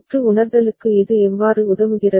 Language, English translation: Tamil, How does it help in circuit realization